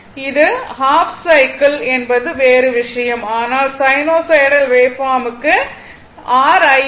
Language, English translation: Tamil, So, although it is your ah half cycle other thing, but for sine waveform is sinusoidal your I m getting 1